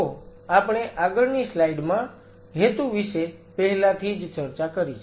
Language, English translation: Gujarati, So, we have already talked about the purpose in the previous slide